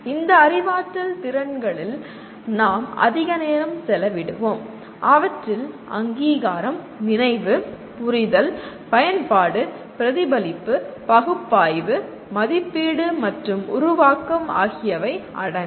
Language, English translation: Tamil, We will be spending more time on this cognitive abilities and these include recognition, recollection, understanding, application, reflection, analysis, evaluation and creation